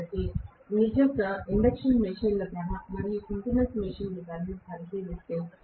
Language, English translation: Telugu, So, if I actually look at the induction machines cost and synchronous machines cost